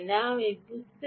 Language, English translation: Bengali, i want to sense